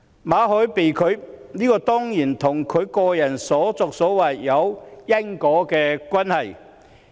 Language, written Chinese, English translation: Cantonese, 馬凱的簽證申請被拒，當然與他個人的所作所為有因果關係。, There is certainly a causal relationship between Victor MALLET being denied a visa and what he has done